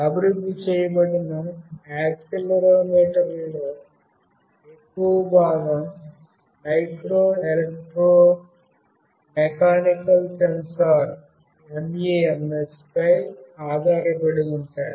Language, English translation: Telugu, Most of the accelerometers that are developed are based on Micro Electro Mechanical Sensors